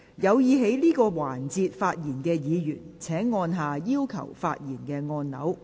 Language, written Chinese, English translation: Cantonese, 有意在這個環節發言的議員請按下"要求發言"按鈕。, Members who wish to speak in this session will please press the Request to speak button